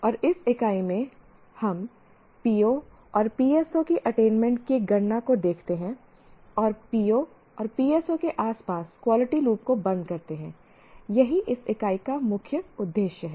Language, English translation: Hindi, And in this unit, we look at the computing of attainment of POS and PSOs and close the quality loop around POS and PSOs